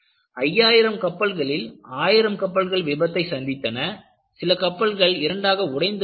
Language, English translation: Tamil, Of the 5000 ships, thousand suffered significant failures, and in fact, some of them broke into 2